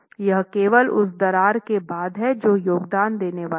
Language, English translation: Hindi, It's only after the cracking that it's going to contribute